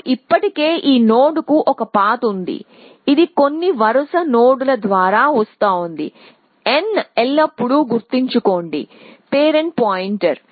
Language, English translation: Telugu, We already have a path to this node m it is coming through some sequence of nodes n always remember is a parent point